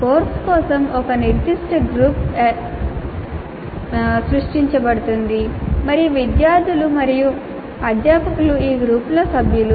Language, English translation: Telugu, A specific group is created for the course and the students and the faculty are members of this group